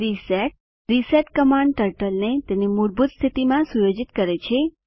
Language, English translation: Gujarati, reset reset command sets Turtle to default position